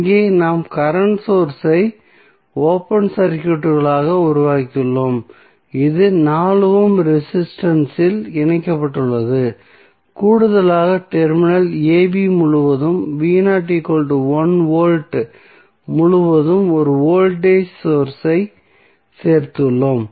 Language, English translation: Tamil, So, here we have made the current source as open circuit which was connected across 4 ohm resistance and additionally we have added one voltage source across terminal a, b that is v naught is equal to 1 V